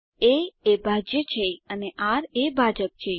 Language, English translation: Gujarati, a is dividend and r is divisor